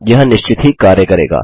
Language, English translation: Hindi, This will work for sure